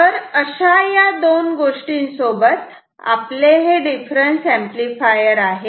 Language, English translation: Marathi, So, these are the two things we have said now this is difference amplifier